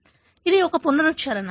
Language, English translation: Telugu, So, this is something a recap